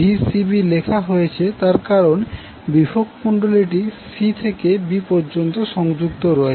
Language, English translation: Bengali, Vcb is written because the potential coil is connected from c to b